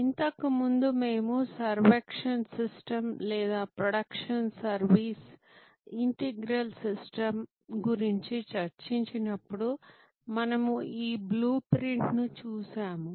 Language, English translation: Telugu, As earlier when we discussed about the servuction system or product service integral system, we looked at this blue print